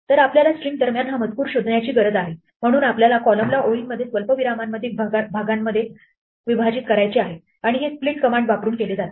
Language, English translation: Marathi, So what we need to do is look for this text between the strings, so we want to split the column into lines into chunks between the commas and this is done using the split command